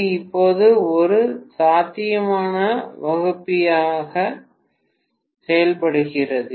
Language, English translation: Tamil, It is working now as a potential divider